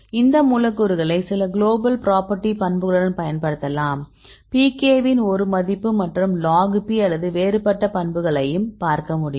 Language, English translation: Tamil, So, we can correlate with some of the global properties of these molecules for example, you can see the pKa we can only one value right are the logP or different a properties